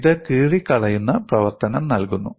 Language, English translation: Malayalam, It provides a tearing action